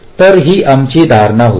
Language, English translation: Marathi, so that was our assumption